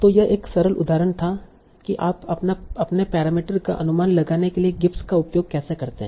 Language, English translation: Hindi, So this was a simple example for how do you use GIF sampling to estimate your parameters